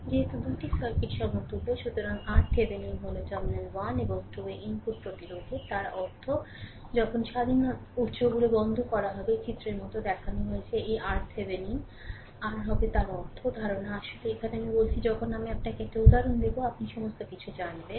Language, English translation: Bengali, Since the 2 circuits are equivalent, hence R Thevenin is the input resistance at the terminal 1 and 2 right; that means, when the independent sources are turned off as shown in figure this R Thevenin will be R in that means, idea actually here I am telling when I will give you an example, you will be knowing everything